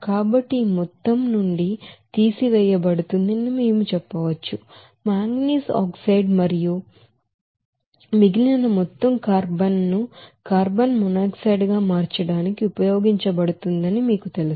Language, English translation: Telugu, So we can say that this amount will be subtracted from this total amount of you know that manganese oxide and remaining amount will be you know used for conversion of carbon to carbon monoxide